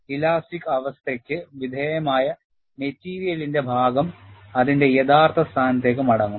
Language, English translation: Malayalam, The portion of the material, subjected to elastic condition would come back to its original position